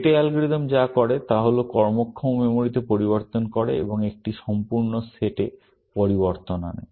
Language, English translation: Bengali, What the Rete algorithm does is that takes changes into working memory and produces changes in a complete set